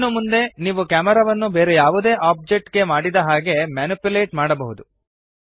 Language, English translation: Kannada, From here on, you can manipulate the camera like you would manipulate any other object